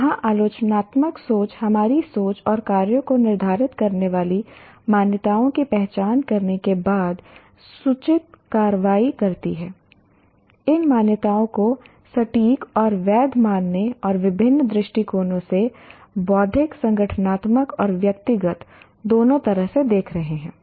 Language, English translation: Hindi, Here critical thinking, take informed actions after identifying the assumptions that frame our thinking and actions, checking out the degree to which these assumptions are accurate and valid and looking at our ideas and decisions, both intellectual, organizational and personal from different perspectives